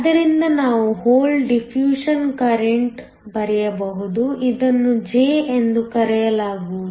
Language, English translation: Kannada, So, we can write a hole diffusion current; going to call it J